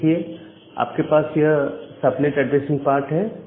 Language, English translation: Hindi, So, you have this subnet addressing part